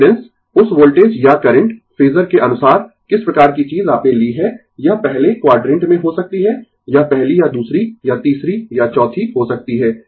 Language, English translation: Hindi, Impedance what type of thing you have taken according to that the voltage or current phasor, it may be in first quadrant, it may be first or second or third or fourth